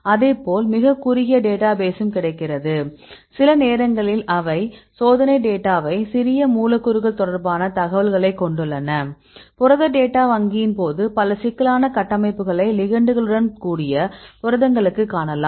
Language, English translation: Tamil, Likewise there is very shorter database available right sometimes they have these experimental data, sometimes they have the information regarding the small molecules; when the protein data bank you can see several complex structures right over the proteins with ligands